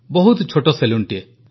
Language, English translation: Odia, A very small salon